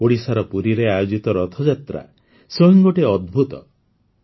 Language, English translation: Odia, The Rath Yatra in Puri, Odisha is a wonder in itself